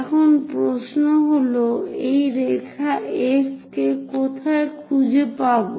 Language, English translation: Bengali, Now the question is, how to find this line F somewhere there